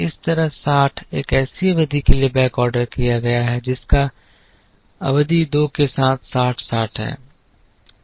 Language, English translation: Hindi, Similarly, 60 is the quantity backordered its backordered for one period with the cost of two so 60 into 2